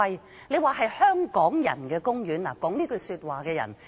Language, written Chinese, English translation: Cantonese, 說"海洋公園是香港人的公園"那人現時不在席。, The one who said the Ocean Park is a park of Hong Kong people is not present now